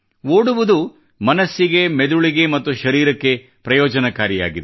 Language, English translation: Kannada, Running is beneficial for the mind, body and soul